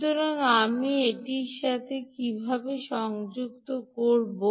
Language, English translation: Bengali, how will you connect it